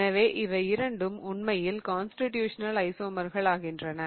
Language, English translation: Tamil, So, these two become actually constitutional isomer